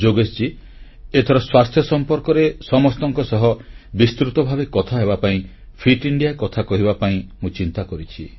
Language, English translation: Odia, Yogesh ji, I feel I should speak in detail to all of you on 'Fit India'